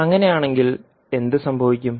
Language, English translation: Malayalam, Then in that case what will happen